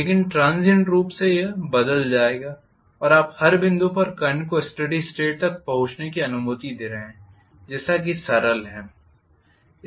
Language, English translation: Hindi, But transient wise it will change, you are allowing at every point the current to reach steady state as simple as that